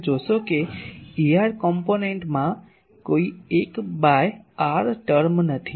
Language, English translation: Gujarati, You see E r component does not have any 1 by r term